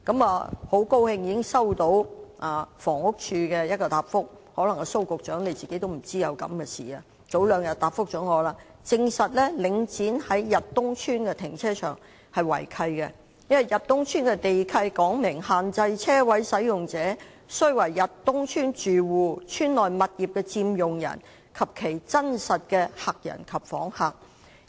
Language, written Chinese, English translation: Cantonese, 我很高興已經接獲房屋署的相關答覆——蘇副局長可能仍未知道這件事——但當局早兩天已回答我，證實領展在逸東邨的停車場違契，因為逸東邨的地契訂明限制車位使用者須為逸東邨住戶、邨內物業的佔用人及其真實的客人及訪客。, I am glad that I have received the relevant reply from the Housing Department HD― Under Secretary Dr Raymond SO may not have known the case yet . Two days ago I received a reply from the authorities confirming that the operation of the car park of Link REIT at Yat Tung Estate has breached the land lease of Yat Tung Estate which stipulated that parking spaces may only be used by residents of Yat Tung Estate occupants of properties of the estate and their bona fide guests and visitors